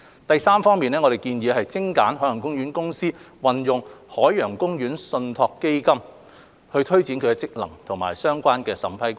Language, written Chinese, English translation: Cantonese, 第三，我們建議精簡海洋公園公司運用海洋公園信託基金推展其職能的相關審批過程。, Third we propose streamlining the relevant approval process relating to the use of the Ocean Park Trust Fund by OPC for taking forward its functions